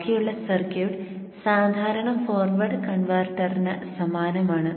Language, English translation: Malayalam, The rest of the circuit is exactly same as the regular forward converter